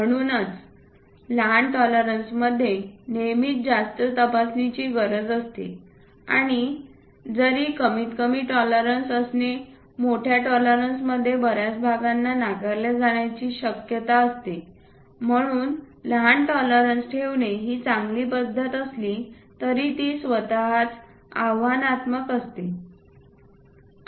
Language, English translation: Marathi, So, small tolerances always have a greater inspection thing and high is a highly likely that many parts will be rejected, though it is a good practice to have smaller tolerances, but making that itself is challenging